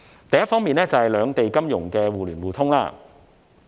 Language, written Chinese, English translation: Cantonese, 第一方面，是兩地金融互聯互通。, First it concerns the mutual access between the Mainland and Hong Kong financial markets